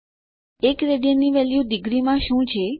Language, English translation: Gujarati, What is the value of 1 rad in degrees